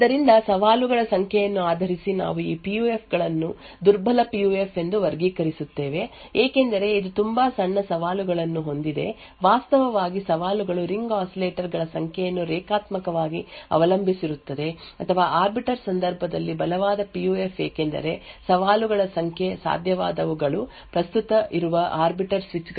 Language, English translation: Kannada, So based on the number of challenges we categorize these PUFs as a weak PUF because it has a very small set of challenges, in fact the challenges linearly dependent on the number of ring oscillators or the strong PUF in case of arbiter because the number of challenges that are possible are exponentially related to the number of arbiter switches that are present